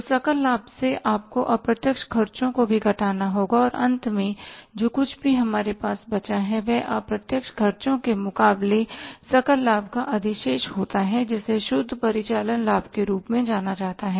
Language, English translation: Hindi, So, from the gross profit you have to subtract the indirect expenses also and finally what ever is left with us is that is a surplus of the gross profit against the indirect expenses is called as the net operating profit